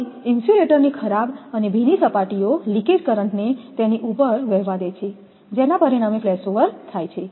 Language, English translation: Gujarati, So, dirty and wet surfaces of the insulator allow the leakage currents to flow over them resulting in flashover